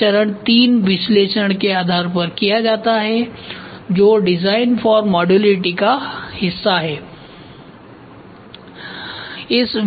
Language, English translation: Hindi, So, this is done based on phase III analysis, which is part of design for modularity